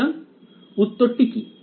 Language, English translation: Bengali, So, the answer is